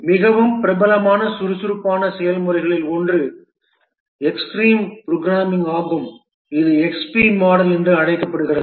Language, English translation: Tamil, One of the Agile process which is very popular is the Extreme Program extreme programming which is also known as the XP model